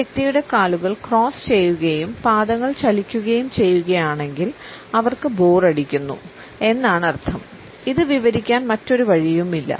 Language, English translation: Malayalam, When a person has their legs crossed and foot shaking they are bored; bored there is no other way to describe it